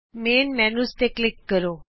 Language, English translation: Punjabi, Click Main Menu